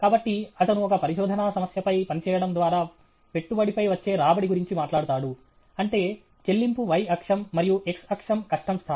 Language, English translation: Telugu, So, he talks about the return in investment on working on a research problem; that is payoff y axis, and the x axis, the difficulty level